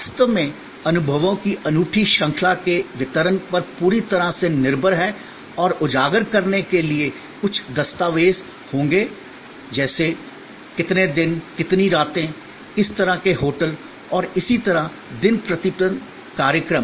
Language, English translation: Hindi, Really depended totally on delivery of unique series of experiences and to highlight, there will be some documentation like how many days, how many nights, which kind of hotels and so on, program day by day